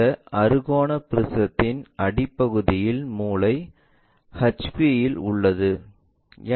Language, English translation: Tamil, And corner of this hexagonal prism of that base is on HP